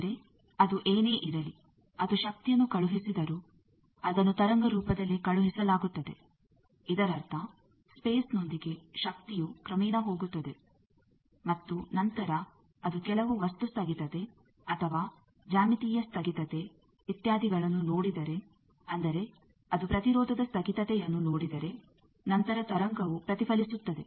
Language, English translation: Kannada, But whatever it is even if it sending the power it is sent in the form of wave, that means with space the energy gradually goes and then if it sees some discontinuity either a material discontinuity or geometric discontinuity etcetera that means, if it sees a impedance discontinuity then the wave gets reflected